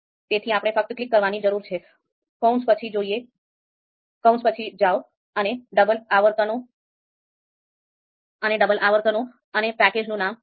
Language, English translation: Gujarati, So we just need to click here and go to the parenthesis and use double quotes and name of the package